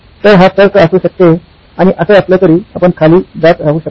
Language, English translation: Marathi, So this could be the level of reasoning, and so on and so forth you can keep going down